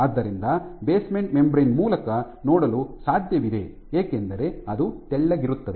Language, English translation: Kannada, So, it is possible to see through the basement membrane because it is thin